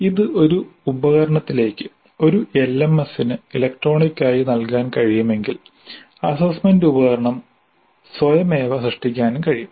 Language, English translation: Malayalam, If this can be provided electronically to a tool to an LMS then assessment instrument can be generated automatically also